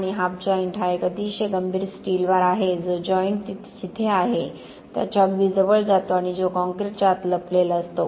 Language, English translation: Marathi, And half joint is a very critical steel bar that goes across very close to where the joint is and that is hidden away inside the concrete